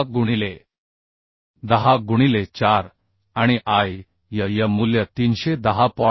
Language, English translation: Marathi, 6 into 10 to the power 4 and Iyy value is 310